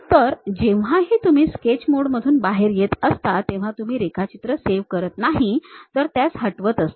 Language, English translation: Marathi, So, whenever you are coming out of sketch mode if you are deleting usually if you are not saving the drawing it deletes everything